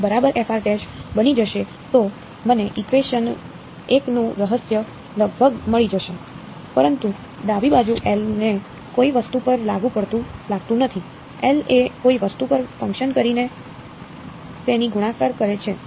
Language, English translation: Gujarati, If it will become f of r prime right so, I will get the RHS of equation 1 almost, but the left hand side does not look like L applied to something, its f multiplied by L acting on something